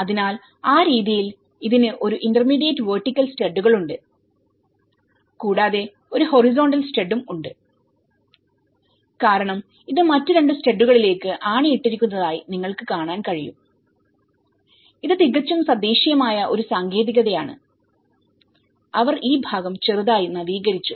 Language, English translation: Malayalam, So, in that way, it has an intermediate vertical studs and which also having a horizontal stud because you can see to nail it on to other two studs and this is a whole very indigenous technique, they have slightly upgraded this part